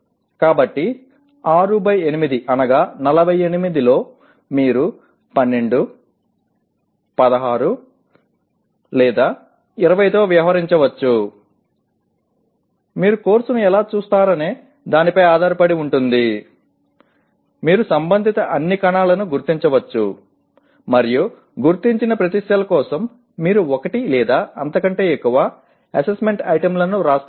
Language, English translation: Telugu, So it could be let us say in 6 by 8, 48 you may be dealing with 12, 16, or 20 depending on how you look at the course; you can identify all the cells that are relevant and for each identified cell you write one or more assessment items, okay questions something like that